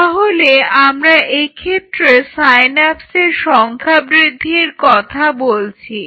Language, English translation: Bengali, So, whenever we talk about this increases the number of synapses